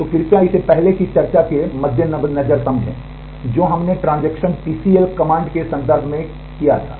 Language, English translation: Hindi, So, please understand this in view of the earlier discussion we had in terms of transact TCL commands